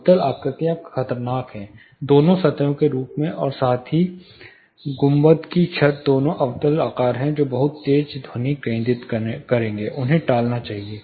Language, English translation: Hindi, Concave shapes are dangerous, both in plane form as well as dome ceiling both are concave shape which will lead to very sharp focusing, they have to be avoided